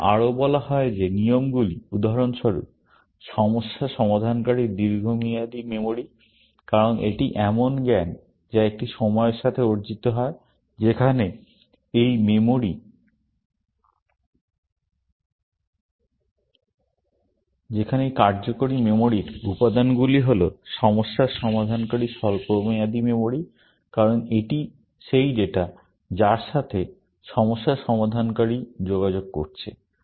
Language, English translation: Bengali, We are also said that the rules, for example, are the long term memory of the problem solver, because that is the knowledge, which is acquired over a period of time, whereas, this working memory elements are the short term memory of the problem solver, because that is the data that the problem solver is interacting with